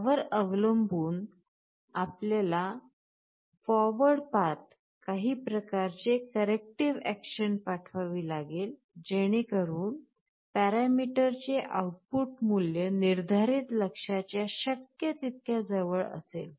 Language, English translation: Marathi, Depending on that you will have to send some kind of a corrective action along the forward path so that the output value of the parameter is as close as possible to the set goal